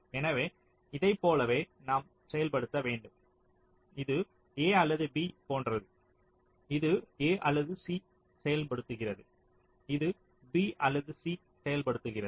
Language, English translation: Tamil, we have to implement like this: a or b, this implements a or c, this implements b or c